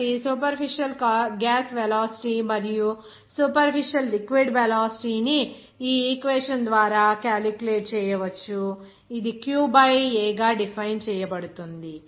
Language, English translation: Telugu, So, superficial gas velocity, the superficial liquid velocity that will be actually calculated by this equation, it will be defined as Q by A